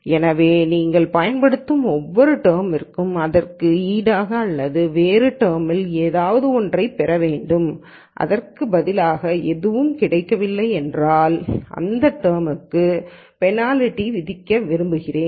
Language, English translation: Tamil, So, one might say that for every term that you use, you should get something in return or in other words if you use a term and get nothing in return I want to penalize this term